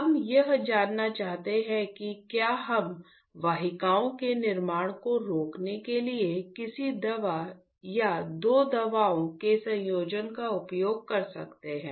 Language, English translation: Hindi, What we want to know is can we use a drug or a combination of two drugs to stop formation of vessels